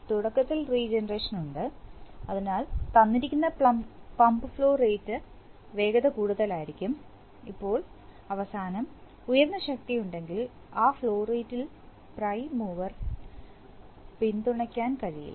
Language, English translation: Malayalam, So, initially there is regeneration, so with the given pump flow rate speed will be higher, now if at the end, there is a higher force encountered which cannot be, which cannot be supported by the prime mover at that flow rate